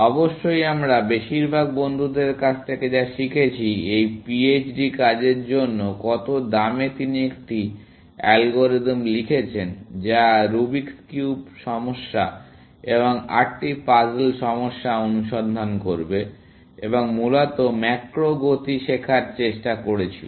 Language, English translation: Bengali, Of course, most of us learned from friends, at what cost rate for this PHD work was that he wrote an algorithm, which will search in the Rubics cube problem and the eight puzzles problem, and tried to learn macro move, essentially